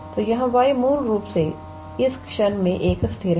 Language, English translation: Hindi, So, here y is basically a constant at the moment